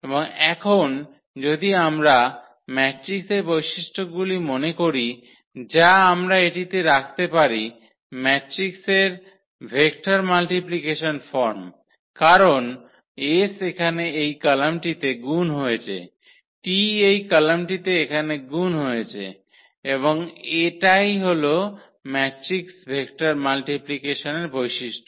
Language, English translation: Bengali, And now this if we if we recall the properties of the matrix which we can put this in the form of matrix vector multiplication because s is multiplied to this column here, t is multiplied to this column here and that is exactly the property of the matrix vector multiplication